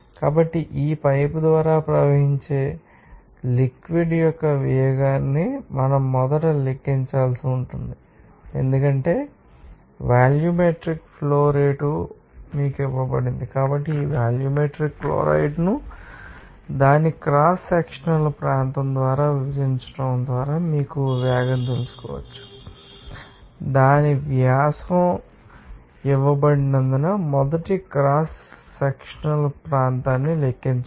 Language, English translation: Telugu, So, what we the velocity of the fluid that is flowing through this pipe first of all you have to calculate since volumetric flow rate is given to you can get these you know velocity just by dividing the volumetric chloride by its cross sectional area you have to calculate first cross sectional area since its diameter is given